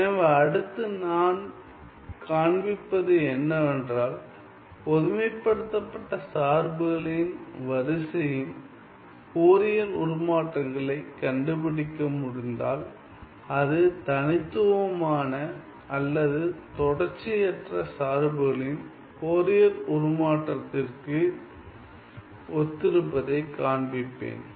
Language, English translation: Tamil, So, next I am going to show that if I able if I am able to figure out the Fourier transform of the sequence of generalized functions, I will show that that corresponds to the Fourier transform of the corresponding discrete or discontinuous function right